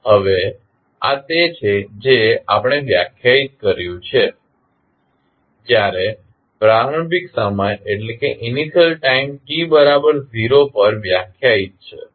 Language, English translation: Gujarati, Now, this what we have defined when initial time is defined time t is equal to 0